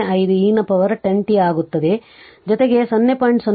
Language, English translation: Kannada, 05 e to the power minus 10 t plus 0